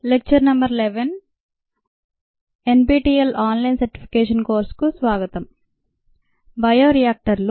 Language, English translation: Telugu, welcome to lecture number eleven, the nptel online certification course on bioreactors